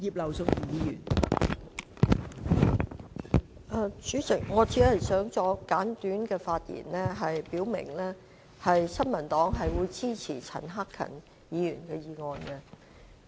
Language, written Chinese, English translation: Cantonese, 代理主席，我只想作簡短發言，表明新民黨會支持陳克勤議員的議案。, Deputy President I only wish to speak briefly to state that the New Peoples Party supports Mr CHAN Hak - kans motion